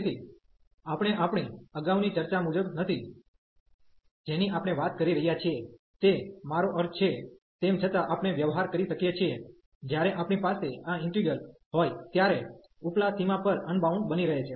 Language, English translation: Gujarati, So, we are not as per the our earlier discussion that we are talking about I mean though similarly we can deal, when we have this integral is becoming unbounded at the upper bound